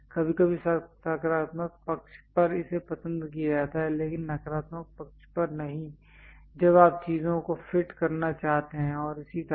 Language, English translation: Hindi, Sometimes on positive side it is prefer, but not on the negative side when you want to fit the things and so on